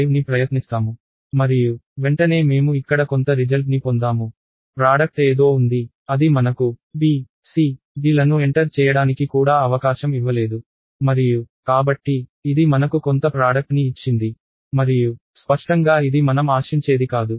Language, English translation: Telugu, 5 and right away I have some result here with says the product is something, it did not even give me a chance to enter b, c, d and so, on, it gave me some product and clearly this is not what we expect